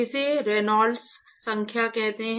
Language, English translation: Hindi, It is called the Reynolds number